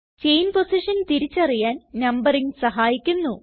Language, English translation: Malayalam, Numbering helps to identify the chain positions